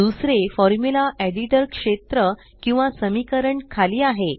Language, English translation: Marathi, The second is the equation or the Formula Editor area at the bottom